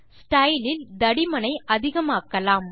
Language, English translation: Tamil, From style we increase the thickness